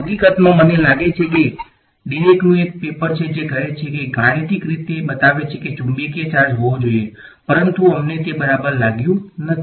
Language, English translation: Gujarati, In fact, there is a paper by I think Dirac which says sort of mathematically shows that there should be a magnetic charge, but we have not found it ok